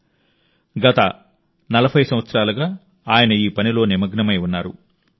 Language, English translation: Telugu, He has been engaged in this mission for the last 40 years